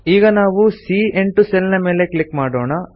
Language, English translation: Kannada, So lets click on the C9 cell